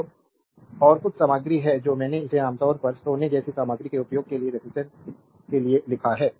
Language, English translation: Hindi, So, and there are some materials of I have wrote it for you the resistivity for commonly use material like gold